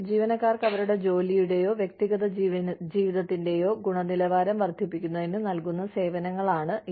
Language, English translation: Malayalam, These are services provided to employees, to enhance the quality of their work, or personal lives